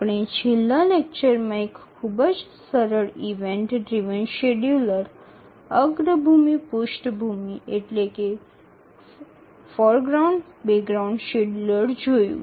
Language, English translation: Gujarati, We had seen a very simple event driven scheduler, the foreground background scheduler in the last lecture